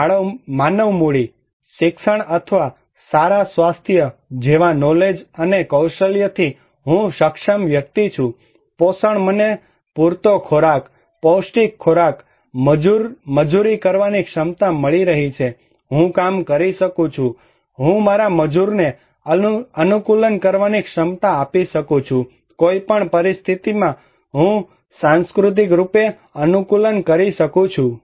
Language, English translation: Gujarati, And human capital; knowledge and skill like education or good health I am capable person, nutrition I am getting enough food, nutritious food, ability to labor I can work, I can give my labor, capacity to adapt, in any situation, I can adapt culturally